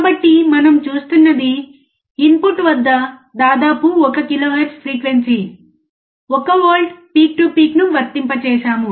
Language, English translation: Telugu, So, what we are looking at, we have applied 1 volts peak to peak, around 1 kilohertz frequency at the input